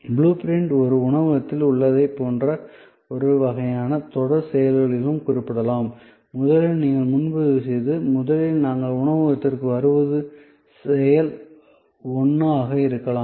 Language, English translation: Tamil, So, blue print can also be represented in some kind of a series of acts like in a restaurant, the first where actually you make the booking and we arrive at the restaurant can be act 1